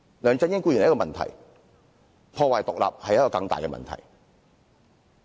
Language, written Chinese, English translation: Cantonese, 梁振英固然是一個問題，但破壞獨立是更大的問題。, LEUNG Chun - ying is certainly a problem but ruining this independence is a more serious problem